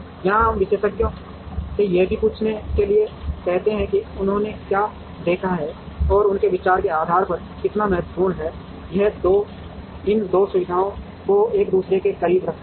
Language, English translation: Hindi, Here we ask the experts to say based on what they have seen and based on their view as to how important, it is 2 keep these 2 facilities close to each other